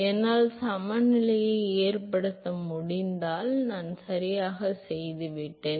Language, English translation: Tamil, If I can make a balance I am done right